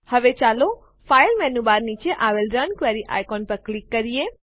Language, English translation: Gujarati, Now, let us click on the Run Query icon below the file menu bar